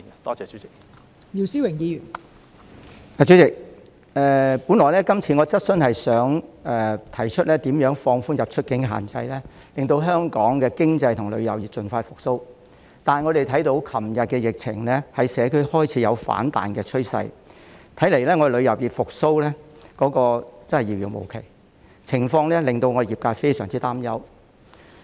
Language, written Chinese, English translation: Cantonese, 代理主席，本來我今次的質詢是想提出如何放寬出入境的限制，令香港的經濟和旅遊業盡快復蘇，但我們看到昨天的疫情在社區開始有反彈的趨勢，看來香港旅遊業復蘇真的是遙遙無期，情況令旅遊業界非常擔憂。, Deputy President my question this time was originally intended to ask how the quarantine measures imposed on inbound and outbound passengers can be relaxed with a view to speeding up the recovery of Hong Kongs tourism industry . However as we see a rebound of the epidemic in the community yesterday it seems that the recovery of Hong Kongs tourism industry is a far - fetched dream . The industry is very much concerned about the situation